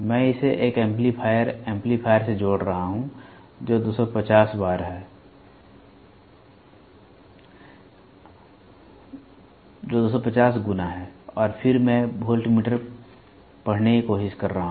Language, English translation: Hindi, I am attaching it to an amplifier, amplifier which is 250 times and then I am trying to get the voltmeter, voltmeter reading